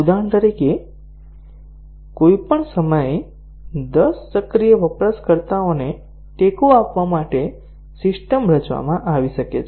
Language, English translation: Gujarati, For example, a system may be designed to support ten active users at any time